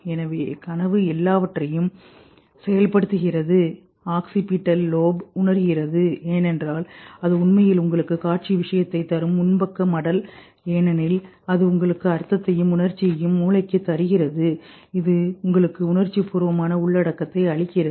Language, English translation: Tamil, The posth the occipital lobe because that actually sends you the visual thing, the frontal lobe because that gives you the meaning and the emotional brain which gives you the emotional content of it